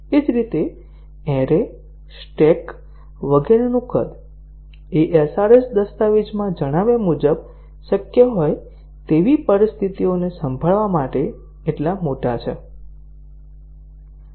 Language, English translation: Gujarati, Similarly, the size of arrays, stack, etcetera are they large enough to handle the situations that are possible as mentioned in the SRS document